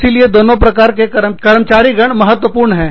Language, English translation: Hindi, So, both kinds of employees, are very important